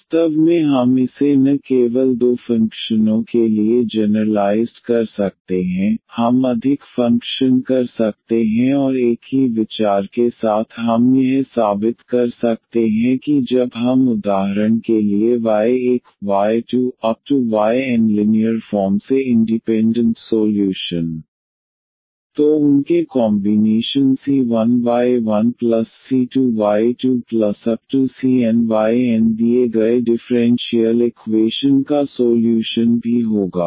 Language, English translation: Hindi, Indeed we can generalize this not only for two functions we can take more functions and with the same idea we can prove that that combination when we have for instance y 1 y 2 y 3 y n linearly independent solutions then their combinations c 1 y 1 plus c 2 y 2 plus c n y 1 will also be the solution of the given differential equation